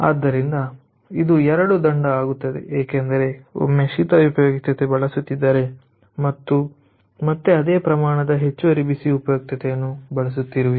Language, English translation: Kannada, so it becomes double penalty, because once we are using cold utility and again you are using same amount of additional hot utility, so it becomes double penalty